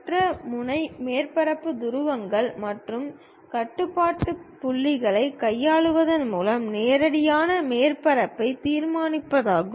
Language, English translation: Tamil, The other method is directly construction of surface by manipulation of the surface poles and control points